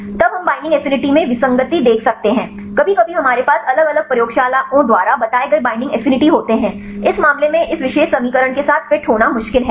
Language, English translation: Hindi, Then we can see the discrepancy in binding affinities, sometimes we have the binding affinity reported by the different labs are different in this case is difficult to fit with this particular equation